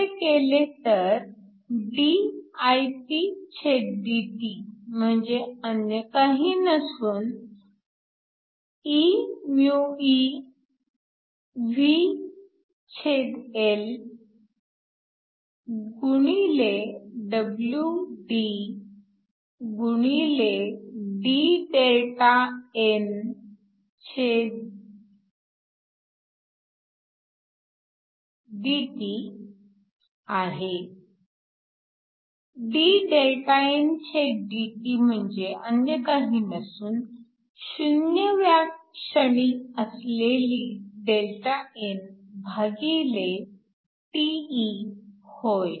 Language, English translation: Marathi, So, you can write this in terms of current, and if you do this dIpdt is nothing but WD(d∆ndt); dΔndt is nothing but Δn at time 0 divided by τe